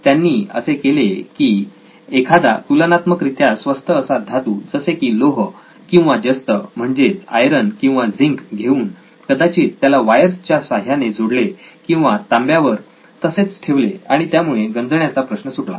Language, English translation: Marathi, What all he did was he took a cheaper substance and copper, iron or zinc and he connected it through wires I guess, to or just put place it on top of the copper and it took care of this corrosion problem